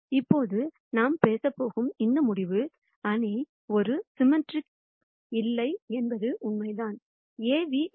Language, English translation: Tamil, And this result that we are going to talk about right now, is true whether the matrix is A symmetric or not